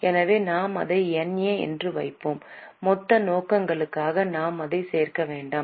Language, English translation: Tamil, So, we will put it as NA and don't include it for the total purposes